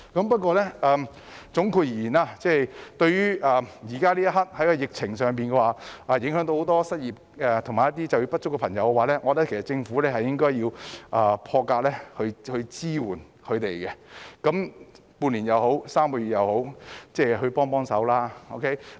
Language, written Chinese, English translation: Cantonese, 不過，總括而言，在疫情肆虐下，很多人失業和就業不足，我認為政府應該以破格的方式支援他們，無論是半年或3個月也好，請給他們一些支援。, However in a nutshell as the epidemic has been raging on many people have lost their jobs or have become underemployed . I consider that the Government should offer assistance to them in an unconventional manner . Be it half a year or three months please give them some support